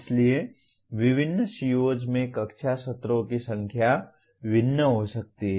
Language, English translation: Hindi, So different COs may have different number of classroom sessions